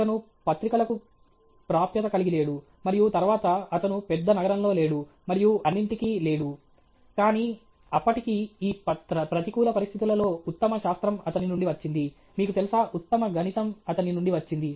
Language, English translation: Telugu, He did not have access to journals and this right, and then, he was not in a big city and all that, but still under this adverse conditions the best science came out of him, you know, the best mathematics came out of him okay